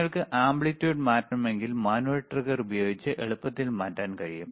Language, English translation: Malayalam, iIf you want to change the amplitude, you can easily change using the manual trigger